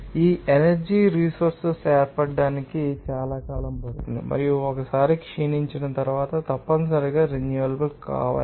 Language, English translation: Telugu, And these sources of energy take very, you know, long period of time to form and once depleted are essentially non renewable